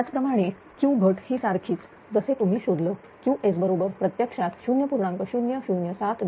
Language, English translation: Marathi, Similarly Q loss is your similar way you find out this is your Q s is equal to actually 0